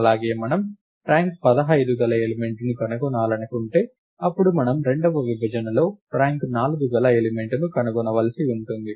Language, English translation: Telugu, And similarly if we want to find an element of rank 15, then we would have to find the element of rank 4, in the second partition